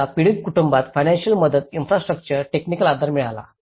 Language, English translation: Marathi, So, once the affected families could receive the financial aid, infrastructure, technical support